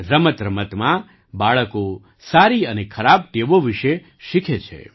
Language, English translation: Gujarati, Through play, children learn about good and bad habits